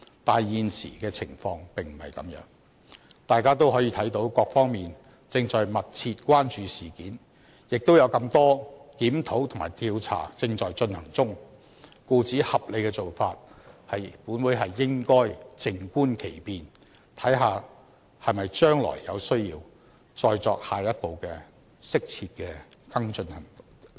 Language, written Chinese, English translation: Cantonese, 但是，現時的情況並不是這樣，大家都可以看到各方面正在密切關注事件，亦有這麼多檢討和調查正在進行中，故此合理的做法是，本會應該靜觀其變，看看將來是否有需要再作下一步的、適切的跟進行動。, The present situation however is not like this as we can see that various quarters are paying close attention to this incident and so many reviews and investigations are being conducted at this moment . The reasonable approach is that this Council should wait and see . We should see whether we will need to take further and proper follow - up action in the future